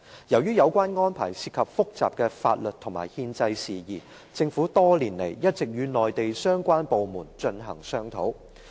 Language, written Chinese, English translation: Cantonese, 由於有關安排涉及複雜的法律和憲制事宜，政府多年來一直與內地相關部門進行商討。, As such arrangements involve complicated legal and constitutional issues the Government has all along been conducting discussions with the relevant Mainland departments for a number of years